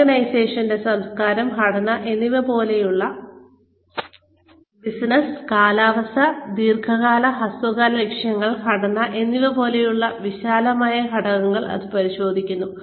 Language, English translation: Malayalam, Which examines, broad factors such as the organization's culture, mission, business, climate, long and short term goals and structure